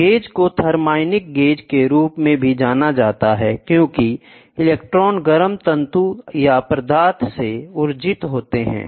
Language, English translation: Hindi, The gauge is also known as thermionic gauge as electrons are emitted from the heated filament, this is a filament or substance